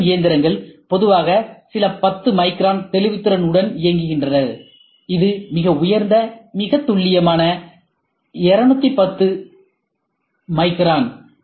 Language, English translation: Tamil, AM machines generally operate with a resolution of a few tens of microns; this is the highest I am talking about, very precise 210 microns